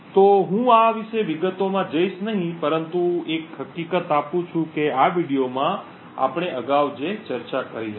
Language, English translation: Gujarati, So, I would not go into details about this but giving the fact that what we discussed earlier in this video